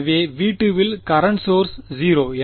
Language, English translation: Tamil, So, in V 2 the current source is 0